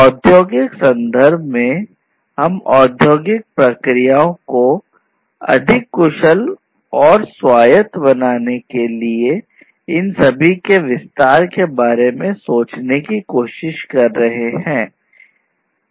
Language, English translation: Hindi, In the industrial context, we are trying to think about an extension of all of these to serve making industrial processes much more efficient and autonomous